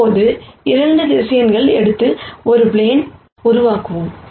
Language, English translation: Tamil, Now, let us take 2 vectors and then make a plane